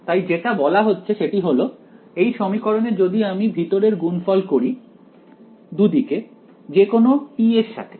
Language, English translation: Bengali, So, what is being suggested is that, in this equation what if I take a inner product on both sides with t any t ok